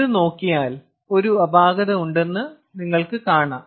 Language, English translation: Malayalam, if you look at this, however, you see that there is an anomaly